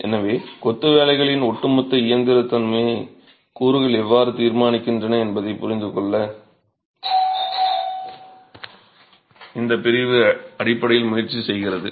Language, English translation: Tamil, So, this segment basically tries to understand how the constituents determine the overall mechanical behavior of masonry